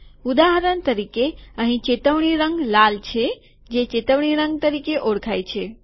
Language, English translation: Gujarati, For example, here the alerted color is red, this is known as alerted color